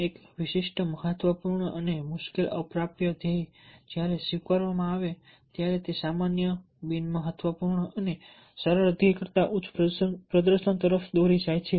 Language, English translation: Gujarati, a specific, important and difficult but attainable goal, when accepted, leads to higher performance that the general on important and easy goal